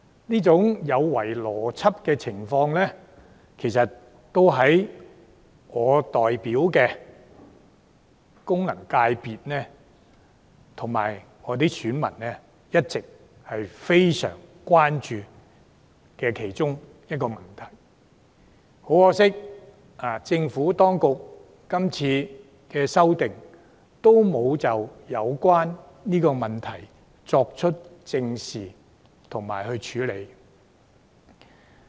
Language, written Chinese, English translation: Cantonese, 這種有違邏輯的情況，其實亦是我及我所代表功能界別的選民一直非常關注的問題之一，可惜政府當局是次修訂並未有正視及處理這個問題。, Such an illogical arrangement has always been one of the great concerns of mine and of the electors of the FC I represent but regrettably the Government has not looked squarely at this issue and proposed solutions in this amendment exercise